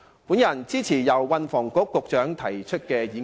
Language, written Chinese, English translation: Cantonese, 我支持由運輸及房屋局局長提出的議案。, I support the motion moved by the Secretary for Transport and Housing . I so submit